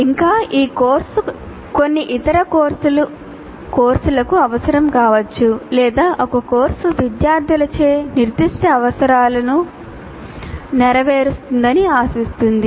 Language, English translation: Telugu, And further, a course may be a prerequisite to some other course or a course expects certain prerequisites to be fulfilled by the students